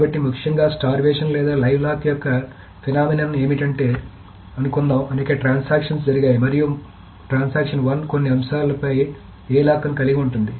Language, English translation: Telugu, So what is essentially the phenomenon of starvation or live lock is that suppose there are many transactions and transaction one holds a lock on some item A